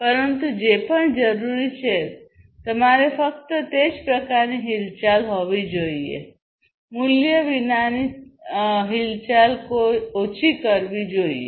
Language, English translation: Gujarati, But whatever is required you should have only that kind of movement, non value added movement should be reduced